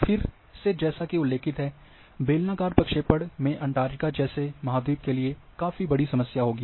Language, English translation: Hindi, Again in cylindrical projection as mentioned that the continent like Antarctica will have a big problem